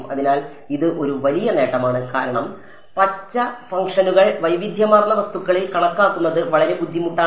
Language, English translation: Malayalam, So, this is one big advantage because green functions are actually very difficult to calculate in heterogeneous objects and so, on